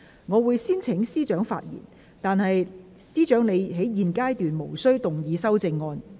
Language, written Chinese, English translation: Cantonese, 我會先請司長發言，但她在現階段無須動議修正案。, I will first call upon the Secretary to speak but she is not required to move the amendments at this stage